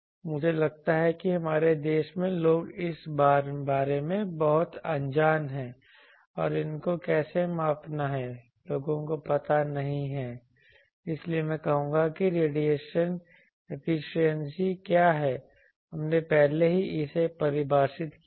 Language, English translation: Hindi, I find that in our country people are very unaware of this and how to measure these people do not know, so I will say this that what is radiation efficiency we have already defined it